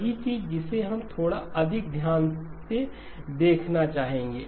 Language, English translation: Hindi, Same thing that we would like to look at little bit more carefully